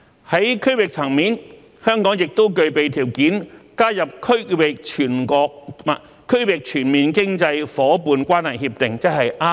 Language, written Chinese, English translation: Cantonese, 在區域層面，香港亦具備條件加入《區域全面經濟夥伴關係協定》。, At the regional level Hong Kong is also well placed to join the Regional Comprehensive Economic Partnership RCEP